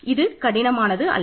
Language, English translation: Tamil, This is not difficult at all